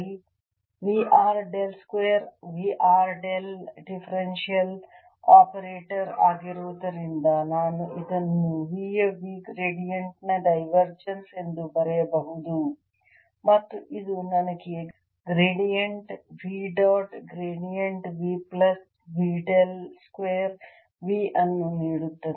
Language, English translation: Kannada, since del is a differential operator, i can write this as divergence of v gradient of v, and this will give me gradient v dot, gradient v plus v del square v